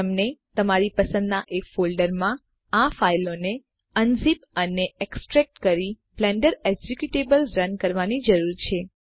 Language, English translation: Gujarati, You would need to unzip and extract the files to a folder of your choice and run the Blender executable